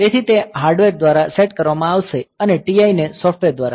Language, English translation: Gujarati, So, it will be set by hardware and TI by software